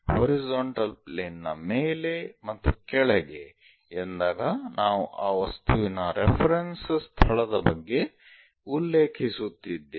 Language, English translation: Kannada, So, a horizontal plane above that below that we talk about position of reference position of that object